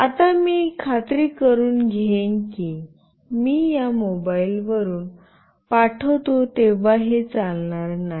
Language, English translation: Marathi, Now, I will make sure that I will when I send it from this mobile, this will not run